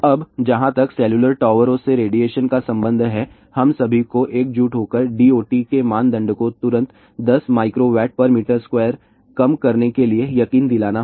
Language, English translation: Hindi, Now as far as the radiation from cellular towers are concerned , we all have to unite and convince D O T to reduce the norm immediately to less than 10 milliWatt per meter square